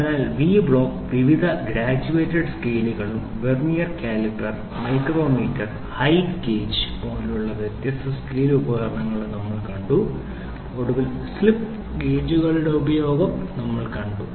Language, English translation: Malayalam, So, V block then we saw various graduated scales and different scale instruments Vernier caliper, micrometer, height gauge and then finally, we saw use of slip gauges